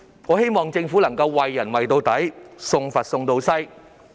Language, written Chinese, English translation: Cantonese, 我希望政府能夠"為人為到底，送佛送到西"。, I hope that in offering a helping hand the Government can carry through to the end